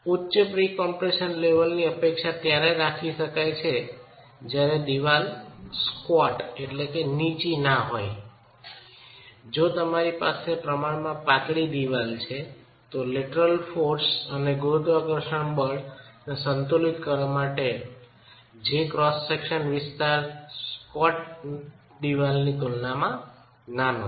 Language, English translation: Gujarati, Let us say if the wall is not a very squat wall, if you have a very slender wall, if you have a relatively slender wall, then the area of cross section available for equilibrium the lateral forces and the gravity force is smaller in comparison to a squat wall